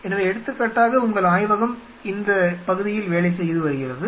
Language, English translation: Tamil, So, say for example, your lab has been working on this area